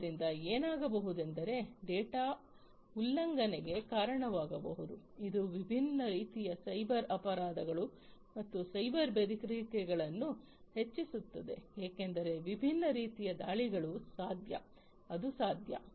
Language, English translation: Kannada, So, what might happen is one might incur data breaches, which increases different types of cyber crimes and cyber threats because there are different types of attacks, that are possible